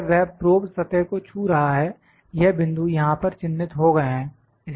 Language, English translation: Hindi, When that probe is touching the surface this points are being marked here